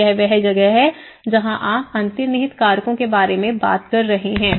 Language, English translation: Hindi, So that is where you are talking about the underlying factors